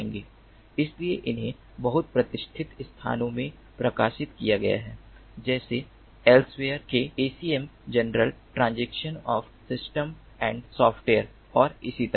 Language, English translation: Hindi, so these have been published in very prestigious ah venues like acm, transactions, journal of systems and software of elsevier and so on